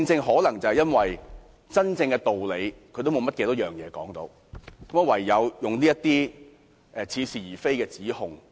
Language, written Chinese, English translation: Cantonese, 可能因為他們無法說出真正的道理，唯有搬出這些似是而非的指控。, Perhaps they are unable to speak the truth and so they have to make such paradoxical accusations against us